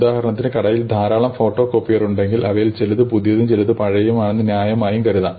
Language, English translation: Malayalam, For instance, if we assume that the shop has many photo copiers, it is reasonable to assume that some are new and some are old